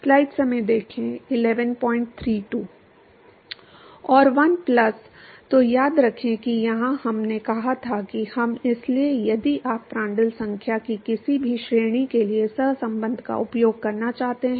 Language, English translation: Hindi, So, remember that here we said that we; so, if you want to use correlation for any range of Prandtl number